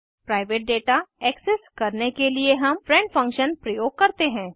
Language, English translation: Hindi, To access the private data we use friend function